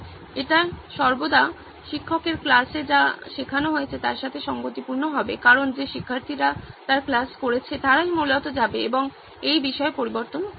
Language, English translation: Bengali, And it will always be in line with what the teacher has taught in class because the students who have attended her class are basically the people who go on and edit at this content